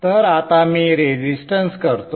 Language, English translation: Marathi, Okay, so let me now put a resistance